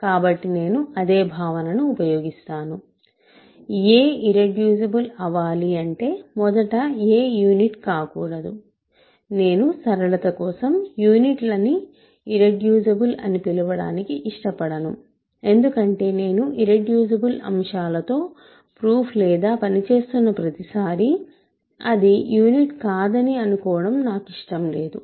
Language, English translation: Telugu, So, same notion I will use, a is irreducible if I want first of all that a should not be a unit; I do not want to call units irreducible for simplicity because I do not want to every time I am working in a proof or something I and I am working with irreducible elements, I do not want to assume that it is not the unit